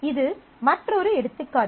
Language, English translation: Tamil, These are another example